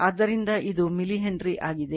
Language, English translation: Kannada, So, it is millihenry